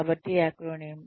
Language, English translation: Telugu, So, an acronym